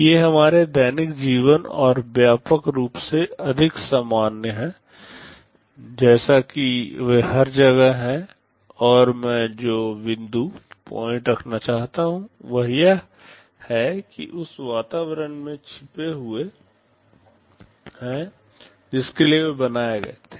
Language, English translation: Hindi, These are far more common in our daily life and pervasive, as they are everywhere, and the point I want to make is that, they are hidden in the environment for which they were created